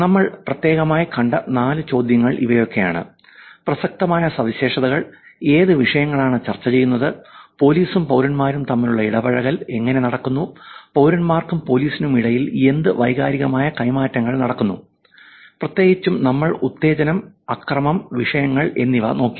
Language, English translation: Malayalam, The four questions that we saw specifically where, topical characteristics, what topics are being discussed, how the engagement between police and citizens are happening, what emotional exchanges are happening between citizens and police, specifically we also looked at arousal, violence and topics around that